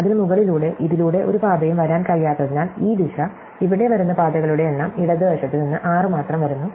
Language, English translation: Malayalam, So, above it, because no paths can come through this, this direction, the number of paths coming here is only 6 coming from the left